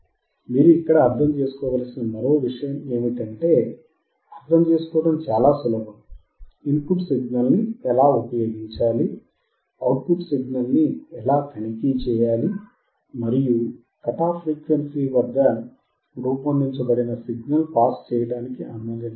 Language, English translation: Telugu, Another thing that you have to understand here is that it is very easy to understand how to apply the input signal; how to check the output signal; and at what cut off frequency designed by us the signal will not allowed to be passed